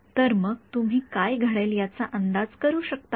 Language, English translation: Marathi, So, can you anticipate what will happen